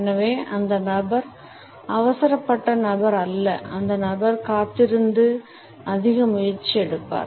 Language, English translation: Tamil, And therefore, the person is not a hurried person the person would wait and put in a lot of effort